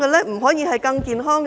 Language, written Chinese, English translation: Cantonese, 不可以更健康嗎？, Can they not be healthier?